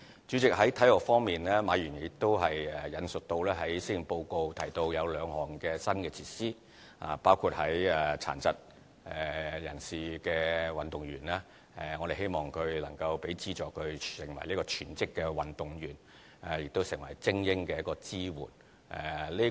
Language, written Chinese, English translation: Cantonese, 主席，在體育方面，馬議員亦引述在施政報告提到有兩項新措施，包括對於殘疾運動員，我們希望能提供資助讓他們成為全職的運動員，亦成為精英的支援。, President in terms of sports Mr MA has also cited two new initiatives in the Policy Address including the one concerning disabled athletes . We hope that resources can be provided so that they can become full - time athletes and give support to elite sports